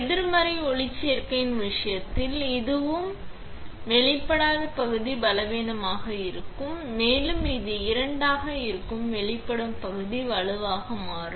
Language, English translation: Tamil, While in the case of negative photoresist the unexposed region which is this one and this one, will be weaker which is here and the exposed region which is this two is become stronger